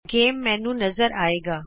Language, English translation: Punjabi, The Game menu appears